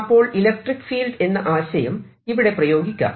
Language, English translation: Malayalam, so think in terms of electric field conceptually